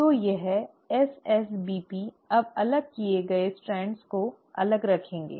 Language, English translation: Hindi, So this SSBPs will now keep the separated strands separated